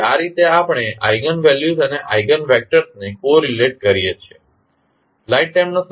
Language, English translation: Gujarati, So, this is how we correlate the eigenvalues and the eigenvectors